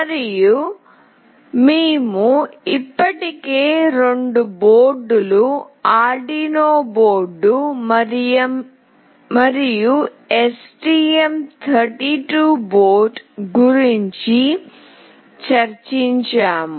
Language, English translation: Telugu, And, we have already discussed about the two boards, Arduino board and STM board